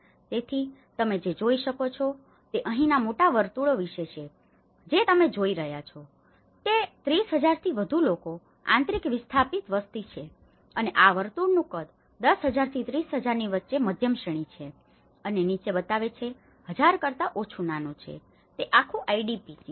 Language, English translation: Gujarati, So, what you can see is about the big circles here what you are seeing is itís about more than 30,000 people have been internal displaced populations and this is the size of the circle gives the shows of between 10,000 to 30,000 is the medium range and below less than 1000 is the smaller, it is entire IDPís